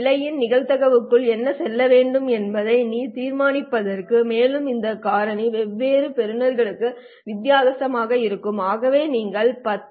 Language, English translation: Tamil, So this is what determines what would go into the probability of error and this factor will be different for different receivers